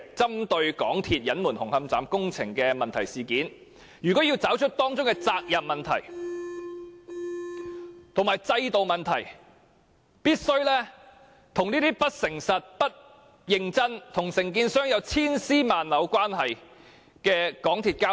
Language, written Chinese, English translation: Cantonese, 針對港鐵公司隱瞞紅磡站工程的問題一事，若要調查當中的責任問題和制度問題，便必須與不誠實、不認真、與承建商有千絲萬縷關係的港鐵公司交手。, As regards MTRCLs concealment of the Hung Hom Station construction problem if one is to probe into the accountability issue and systemic problems involved one must deal with MTRCL which is neither honest nor serious about what it does and has an intricate relationship with the contractor concerned